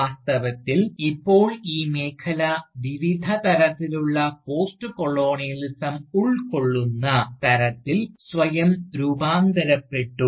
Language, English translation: Malayalam, Indeed, the field has merely transformed itself, to now include, various kinds of Postcolonialism